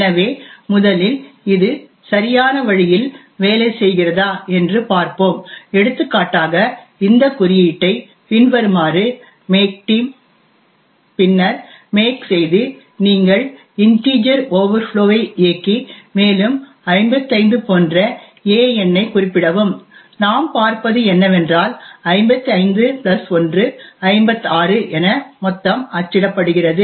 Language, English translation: Tamil, So let us first see this working in the right way and so for example let us make this code as follows make team and then make and you run integer overflow and specify a number a such as 55 and what we see is that the sum is printed as 55 plus 1 is 56